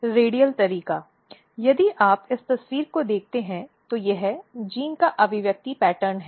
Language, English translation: Hindi, So, if you look this picture this is the expression pattern of the genes